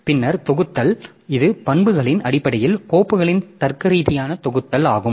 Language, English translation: Tamil, Then grouping, so it is a logical grouping of files by properties